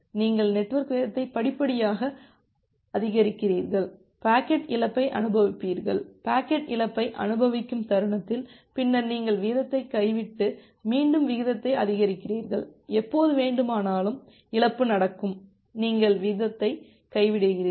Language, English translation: Tamil, So, the broad idea is that you gradually increase the network rate at some time, you will experience, the packet loss the moment you are experience the loss, then you drop the rate and again increase the rate and again whenever you’ll get a loss, you will drop the rate